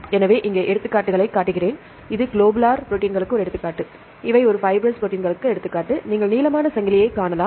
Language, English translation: Tamil, So, here I show the examples here this is one example for the globular proteins, these are an example for a fibrous protein you can see elongated chains and these example for membrane proteins